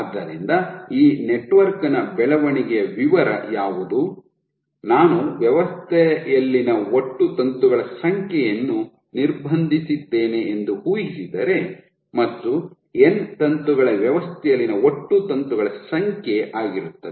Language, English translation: Kannada, So, what will be the growth profile of this network imagine that I have I constrained the total number of filaments in the system N filament is the total number of filaments in the system